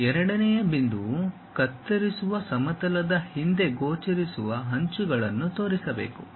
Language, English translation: Kannada, The second point is visible edges behind the cutting plane should be shown